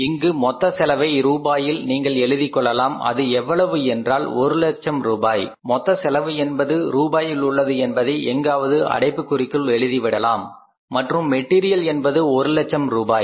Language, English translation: Tamil, This cost is 1 lakh rupees, total cost is it is in the rupees, you have to write somewhere in the bracket that is rupees and direct material is 1 lakh rupees